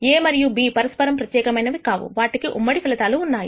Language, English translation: Telugu, So, A and B are not mutually exclusive, but have a common outcome